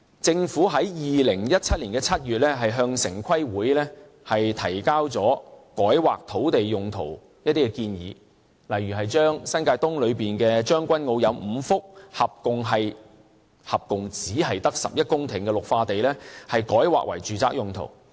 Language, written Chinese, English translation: Cantonese, 政府在2017年7月向城市規劃委員會提交改劃土地用途的建議，例如將新界東的將軍澳中有5幅合共只有11公頃的綠化地改劃為住宅用途。, In July 2017 the Government submitted a proposal on changes in the planned uses of sites to the Town Planning Board . For example five green belt sites at Tseung Kwan O New Territories East which amount to merely 11 hectares of land are proposed to be rezoned for residential use